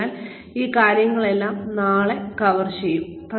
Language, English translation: Malayalam, So, we will cover all of these things, tomorrow